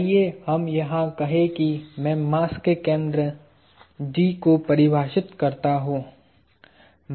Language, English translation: Hindi, Let us say in here I define the center of mass G